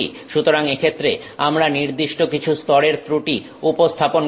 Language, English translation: Bengali, So in this case we have introduced some level of defects